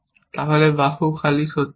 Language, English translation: Bengali, Then, arm empty is not true